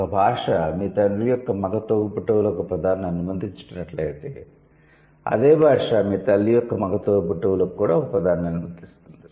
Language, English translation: Telugu, If a language allows a term for the male sibling of your father, then the same language would also allow the term for the male sibling of your mother